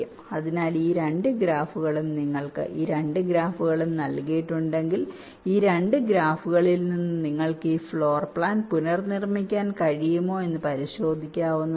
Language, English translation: Malayalam, so these two graphs, you, you can check that if you are given these two graphs, from these two graphs you can reconstruct this floor plan